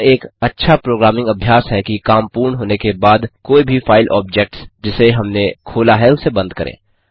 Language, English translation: Hindi, It is a good programming practice to close any file objects that we have opened, after their job is done